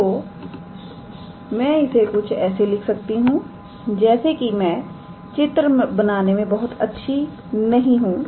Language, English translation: Hindi, So, I can write as this as I am not very good at drawing